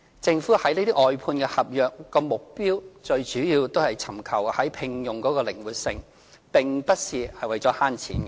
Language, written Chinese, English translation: Cantonese, 政府外判合約的目的，最主要是尋求在聘用方面的靈活性，並不是為了節省金錢。, The objective of the outsourcing contracts is mainly to achieve recruitment flexibility not saving money